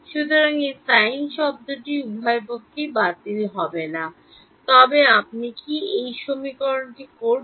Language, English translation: Bengali, So, that sin term will not cancel off on both sides then what will you do